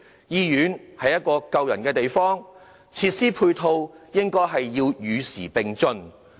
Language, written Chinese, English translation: Cantonese, 醫院是一個救人的地方，配套設施應與時並進。, Hospitals are places where lives are saved and their ancillary facilities should be kept up to date